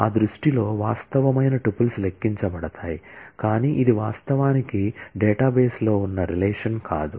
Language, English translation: Telugu, The actual tuples in that view are computed, but this is not actually a relation that exists in the database